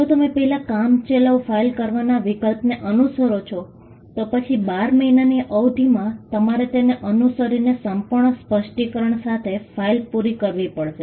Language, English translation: Gujarati, If you follow the option of filing a provisional first, then within a period of 12 months you have to follow it up with by filing a complete specification